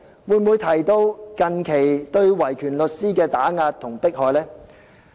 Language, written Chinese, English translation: Cantonese, 會否提及近期對維權律師的打壓和迫害？, Will we mention the recent suppression and persecution of human rights lawyers?